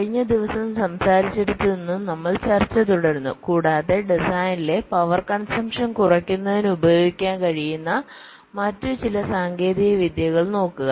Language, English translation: Malayalam, so we we basically continue with our discussion, what you are talking about last day, and look at some other techniques that we can employ or use for reducing the power consumption in design